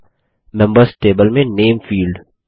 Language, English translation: Hindi, Next is the Name field in the Members table